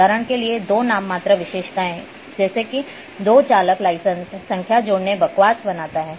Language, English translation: Hindi, For example, adding two nominal attribute such as two driver’s license number creates nonsense